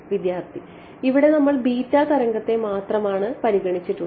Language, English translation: Malayalam, We have considered only beta wave